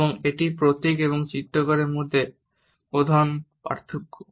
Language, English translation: Bengali, And this is the major difference between emblem and illustrator